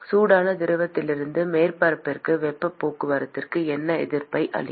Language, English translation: Tamil, What will be the resistance offered for heat transport from the hot fluid to the surface